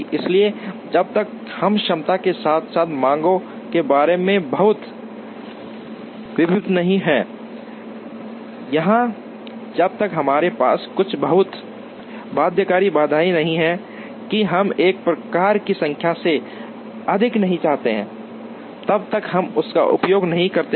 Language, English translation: Hindi, So, unless we are very sure about capacities as well as demands, or unless we have some very binding constraints that we do not want more than a sort of number then we do not use this